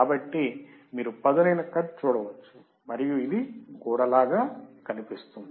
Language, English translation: Telugu, So, you can see a sharp cut and it looks like a wall